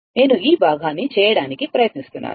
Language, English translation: Telugu, Just I am trying to make it this part, right